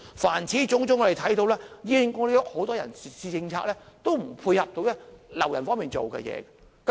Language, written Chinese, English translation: Cantonese, 凡此種種，我們看到醫管局很多人事政策也無法配合挽留員工。, All these reflect that in HA many human resources policies are unable to facilitate staff retention